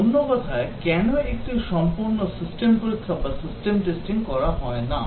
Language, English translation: Bengali, Or in other words, why not perform a thorough system testing